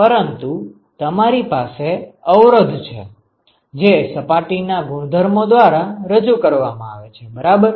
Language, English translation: Gujarati, But you have the resistance that is offered by the properties of the surface right